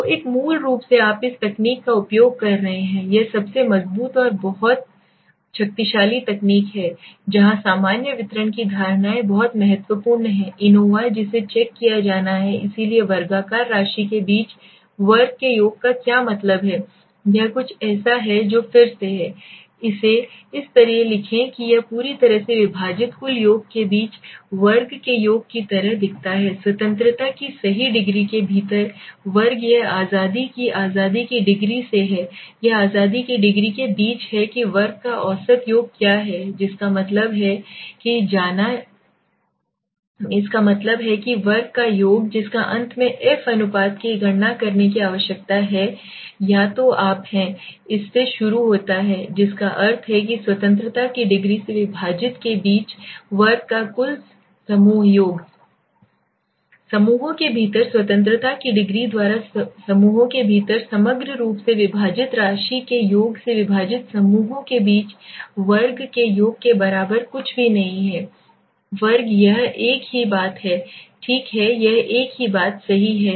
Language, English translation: Hindi, So basically you are using this technique it is the most one of the most robust and a very very powerful technique where the assumptions of the normal distribution are very important for anova that is to be checked so what is the means of sum of square between sum of square within it is something which is again Write it like this it looks like totally sum of square between right divided by the total sum of square within right degree of freedom this is by the degree of freedom now degree of freedom this is between degree of freedom within now what is the mean sum of square that means go by this that means sum of square of which is the finally need for to calculate the f ratio is either you start from this that means total sum of square between divided by the degree of freedom between the group Divided by overall within the groups by the degree of freedom within the groups which is nothing but is equal to mean sum of square between the groups divided by means of sum of square it is the same thing okay this is the same thing right